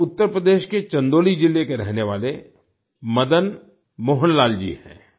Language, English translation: Hindi, This is Madan Mohan Lal ji, a resident of Chandauli district of Uttar Pradesh